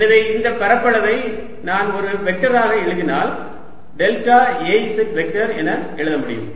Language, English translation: Tamil, so i can write this area if i write it as a vector, as delta a z vector